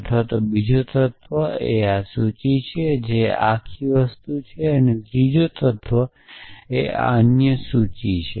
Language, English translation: Gujarati, Or the second element is this list which is this whole thing and the third element is this other list